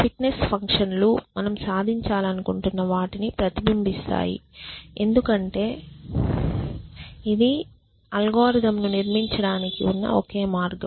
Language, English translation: Telugu, The fitness functions reflect what you want to achieve, because in the way that we have built our algorithm